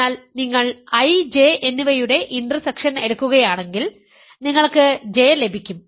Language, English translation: Malayalam, So, if you take intersection of I and J, you will get J